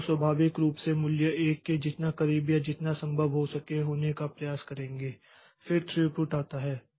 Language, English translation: Hindi, So, naturally we will try to be as close or to as close as possible to the value 1